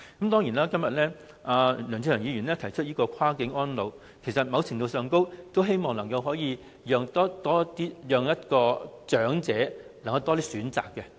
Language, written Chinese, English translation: Cantonese, 當然，今天梁志祥議員提出"跨境安老"議案，其實某程度上，都希望能夠讓長者有更多選擇。, Of course the motion on Cross - boundary elderly care moved by Mr LEUNG Che - cheung today seeks to a certain extent to provide more options to the elderly people and we have no objection from this perspective